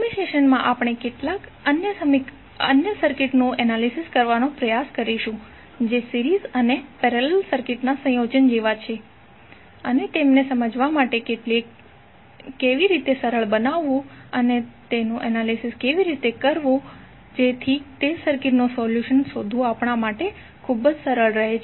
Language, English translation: Gujarati, In next session we will to try to analyze some other circuits which are like a circuit combination of series and parallel and how to make them easier to understand and how to analyze so that it is very easy for us to find the solution of those circuits